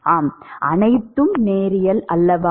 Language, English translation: Tamil, That is also linear